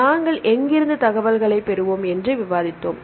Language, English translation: Tamil, Then we discussed where we shall get the information